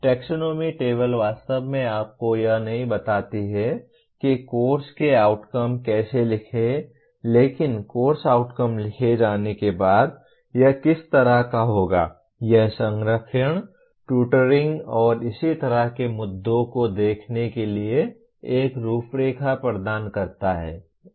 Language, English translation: Hindi, Taxonomy table really does not tell you how to write Course Outcomes but having written Course Outcomes it will kind of, it provide a framework for looking at the issues of alignment, tutoring and so on